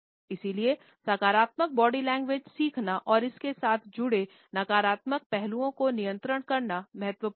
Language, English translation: Hindi, And therefore, it is important to learn positive body language and control the negative aspects associated with it